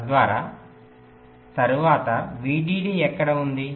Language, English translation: Telugu, so where are the vdd